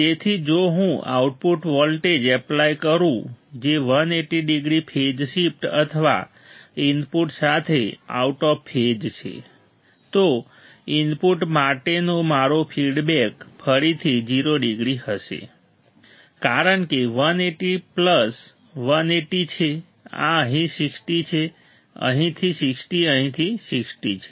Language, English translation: Gujarati, So, if I apply output voltage which is 180 degree of phase shift or out of phase with input then my feedback to the input will again be a 0 degree because 180 plus 180, this is 60 from here, 60 from here 60 from here